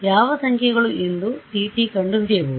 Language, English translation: Kannada, Tt can figure out which numbers are